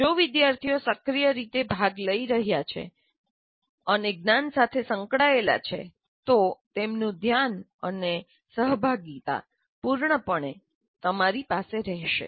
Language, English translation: Gujarati, If they are actively participating and interacting with the knowledge, engaging with the knowledge, you will have their attention and participation fully